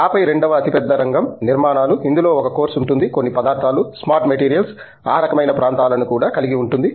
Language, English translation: Telugu, And then, the second large area is structures, which involves which also a course includes some materials, smart materials, those kinds of areas